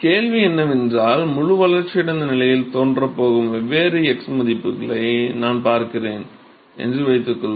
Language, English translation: Tamil, So, the question is, see supposing I look at different x values at which the fully developed regime is going to appear